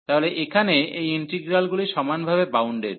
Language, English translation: Bengali, So, these integrals here are uniformly bounded